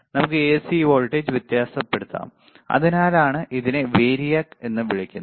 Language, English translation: Malayalam, We can vary the AC voltage that is why it is called variac